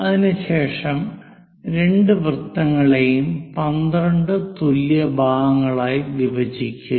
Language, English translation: Malayalam, After that, divide both the circles into 12 equal parts